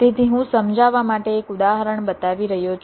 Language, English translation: Gujarati, ok, so i am showing an example to illustrate